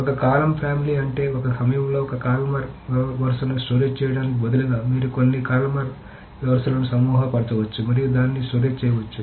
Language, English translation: Telugu, So column family is that instead of storing it one column at a time you can group certain columns together and that can be stored